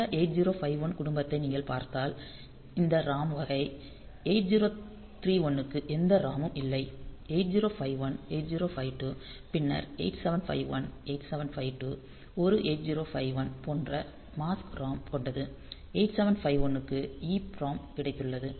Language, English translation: Tamil, this ROM type so 8 0 3 1 it does not have any ROM 8 0 5 1 8 0 5 2 then 8 7 5 1 8 7 5 2 it is a 8 8 0 5 1 they have got mask ROM 8 0 8 7 5 1 they have got EPROM